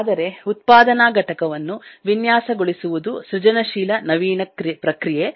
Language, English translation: Kannada, but designing the manufacturing is a creative, innovative process